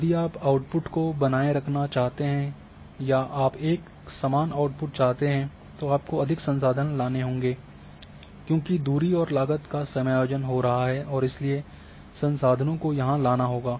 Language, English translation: Hindi, So, if you want to maintain the output or if you want the constant output then you have to bring more resources to keep the constant output because the distance and cost is accommodating and therefore, you have to bring resources in order to have a constant output